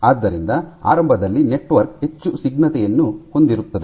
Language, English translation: Kannada, So, initially the network is more viscous in nature